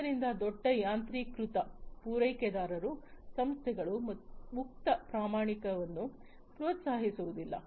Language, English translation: Kannada, So, the large automation suppliers firms do not encourage open standardization